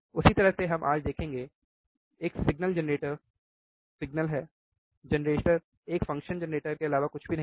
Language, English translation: Hindi, Same way we will see today, there is a signal generator signal, generator is nothing but a function generator